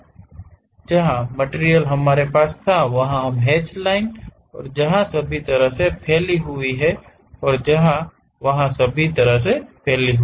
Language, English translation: Hindi, So, that material what we are having is these hatched lines and that extends all the way there and that extends all the way there